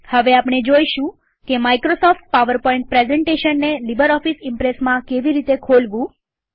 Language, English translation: Gujarati, Next, we will see how to open a Microsoft PowerPoint Presentation in LibreOffice Impress